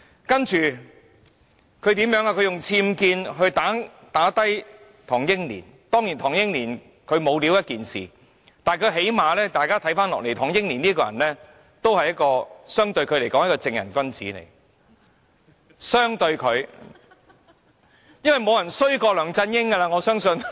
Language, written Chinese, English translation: Cantonese, 接着，他以僭建來擊倒唐英年，當然唐英年沒有才幹是一回事，但相對梁振英，唐英年尚算是一名正人君子，我相信沒有人比梁振英更差劣。, Later he used the issue of unauthorized building works UBWs to attack Henry TANG . While it is a fact that Henry TANG is incompetent but when compared with LEUNG Chun - ying he can still be considered a person of integrity . I believe no one is worse than LEUNG Chun - ying